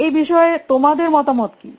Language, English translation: Bengali, Do you have any views on this